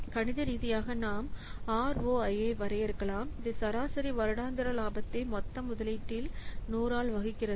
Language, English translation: Tamil, The mathematically we can define ROI as like this, the average annual profit divided by total investment into hundreds